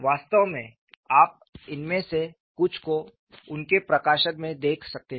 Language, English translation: Hindi, In fact, you could see some of this in his publication